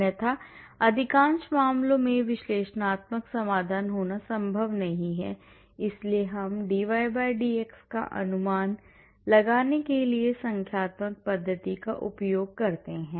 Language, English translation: Hindi, Otherwise, in most of the cases it is not possible to have analytical solution, so we use numerical method for estimating the dy/dx,